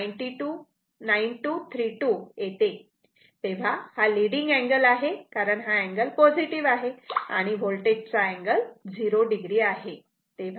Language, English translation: Marathi, 9232 it is leading because angle is positive current angle is positive right because voltage it is the angle is 0